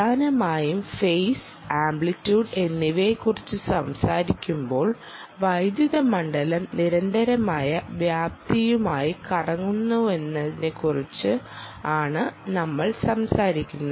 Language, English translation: Malayalam, there is phase and amplitude and essentially, when we talk about phase and amplitude, we talk about electric field rotating with constant amplitude